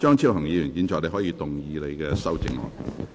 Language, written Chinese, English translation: Cantonese, 張超雄議員，你可以動議你的修正案。, Dr Fernando CHEUNG you may move your amendment